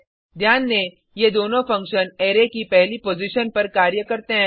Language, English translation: Hindi, Note: Both these functions works at first position of an Array